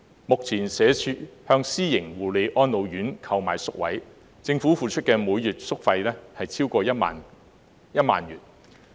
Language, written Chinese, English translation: Cantonese, 目前社會福利署向私營護理安老院購買宿位，政府付出的每月宿費超過1萬元。, At present the Social Welfare Department purchases places from private care and attention homes and the Government pays more than 10,000 per month for these places